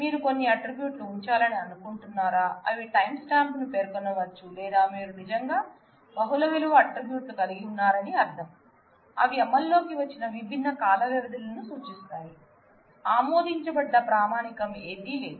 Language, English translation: Telugu, Whether you can you would like to put some attributes, which specify the timestamp or you would like to I mean really have multivalued attributes, denoting the different time frames where they are they may have taken effect, there is no accepted standard